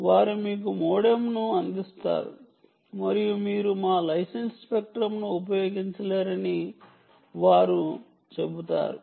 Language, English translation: Telugu, they themselves will provide you a modem and they will say, ok, no problem, you can use our ah license spectrum